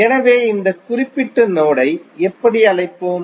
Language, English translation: Tamil, So, what we will call this particular node